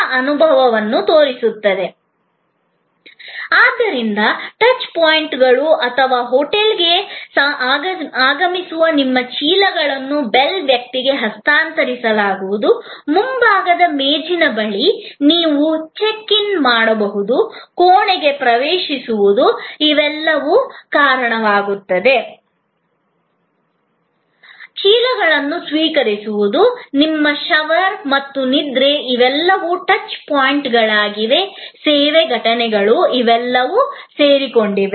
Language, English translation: Kannada, So, the touch points or arrival at the hotel, your handling over of the bags to the bell person, your checking in at the front desk, your accessing the room and receiving the bags, your shower and sleep, all of these are touch points service events